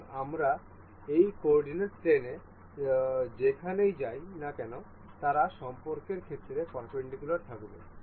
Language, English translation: Bengali, So, anywhere we move in this coordinate plane they will remain perpendicular in relation